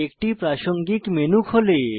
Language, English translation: Bengali, A Contextual menu opens